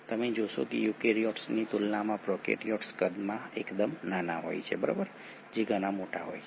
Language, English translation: Gujarati, You find that prokaryotes are fairly smaller in size compared to eukaryotes which are much larger